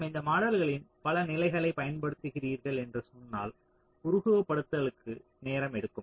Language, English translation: Tamil, so so if you say that you are using multiple levels of these models, then simulation it will take time